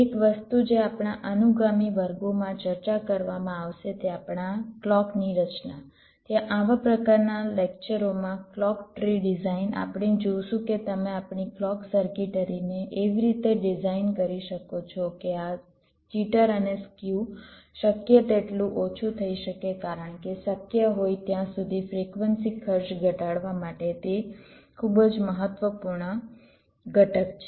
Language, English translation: Gujarati, ok, so as skew jitter increases, your maximum frequency also goes down, right, so one thing that will be discussing in our subsequence classes, in our ah: clock design, clock tree design, in this kind of ah lectures: there we shall see that how you can design our clock circuitry in such a way that this jitter and skew can be reduced as much as possible, because that is the very important component: to reduce the frequency cost to the extent possible